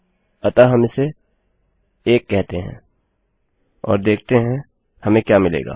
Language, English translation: Hindi, So we said this 1 and see what will we get